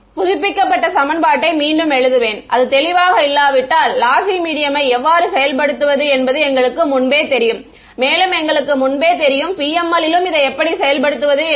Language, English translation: Tamil, I will write down the updated equation again if its not clear, but we already know how to implement lossy media therefore, we already know to implement PML